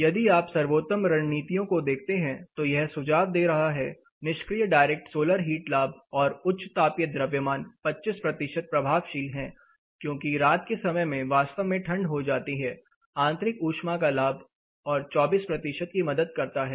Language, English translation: Hindi, So, if you see the best of strategies it is suggesting you know see 25 percent effectiveness you are getting with passive direct solar heat gain and high thermal mass because night times get really cold internal heat gain helps by another 24 percent